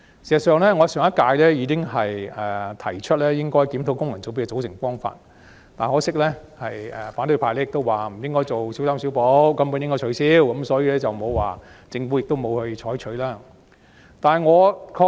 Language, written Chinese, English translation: Cantonese, 事實上，我在上屆立法會已提出檢討功能界別的組成方法，可惜反對派表示不應小修小補，而應全面取消，故政府亦未有採納我的意見。, I actually suggested in the last Legislative Council a review of the composition of FCs . Regrettably as the opposition camp called for complete abolition instead of a patchy fix the Government did not take on board my view